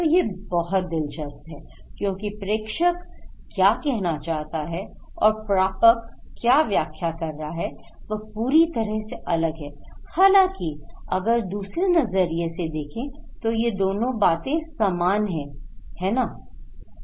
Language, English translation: Hindi, So, this is so interesting, so what the sender wants to do and what the receiver is interpreting is completely different, although they are same right, they are same